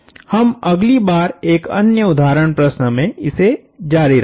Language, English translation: Hindi, We will continue this in another example problem next time